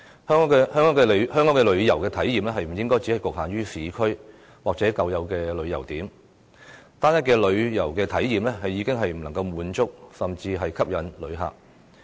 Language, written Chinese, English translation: Cantonese, 香港的旅遊體驗不應只局限於市區或舊有的旅遊點，單一的旅遊體驗已經不能滿足和吸引旅客。, The tourist experience of Hong Kong should not be limited to the urban areas or conventional tourist attractions . Monotonous tourist experience can no longer satisfy and attract visitors